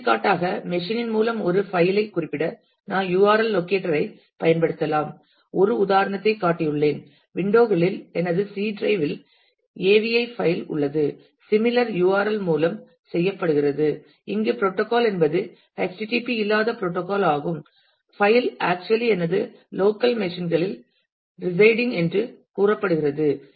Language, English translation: Tamil, For example I can use URL locator to specify a file in by machine for example, I have shown an example of an AVI file in my C drive in windows and that is done through a similar URL where the protocol is not http the protocol is file telling me that it is actually residing in my local machines